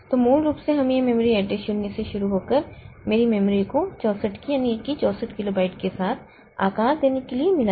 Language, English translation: Hindi, So, basically we have got this memory address starting from zero to suppose my memory of the OSIG is 64 k, so 64 kilobyte